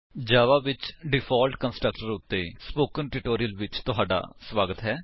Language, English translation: Punjabi, Welcome to the Spoken Tutorial on Default constructor in java